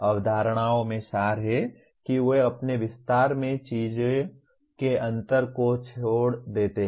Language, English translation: Hindi, Concepts are abstracts in that they omit the differences of the things in their extension